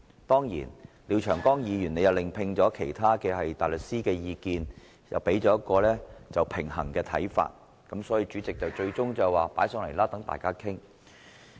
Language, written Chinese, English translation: Cantonese, 當然，廖長江議員亦另聘其他大律師提供意見，而他們亦提供了平衡的看法，故最終主席決定將議案提交到大會，讓大家討論。, Of course Mr Martin LIAO has sought opinions from other counsel who provided a balancing view and so the President eventually decided that the motion be tabled to this Council for discussion by Members